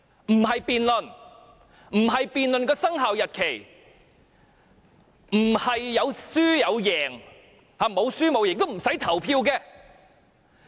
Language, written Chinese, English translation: Cantonese, 我們不是辯論生效日期，沒有輸贏之分也不用表決。, We are not to debate the commencement date . There is no winning or losing and there is no need to vote